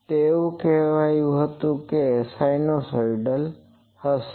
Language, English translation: Gujarati, So, it was said that it will be sinusoidal